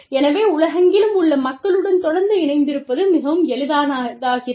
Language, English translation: Tamil, So, it is so easy, to stay connected to people, all over the world